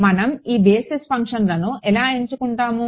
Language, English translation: Telugu, How do we choose these basis functions